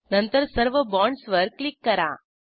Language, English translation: Marathi, Then click on all the bonds